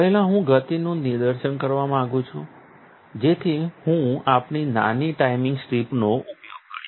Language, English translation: Gujarati, First, I would like to give a demonstration of the speeds, so that I am going to use our little timing strip